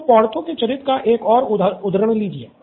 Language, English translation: Hindi, So another quirk of Porthos’s character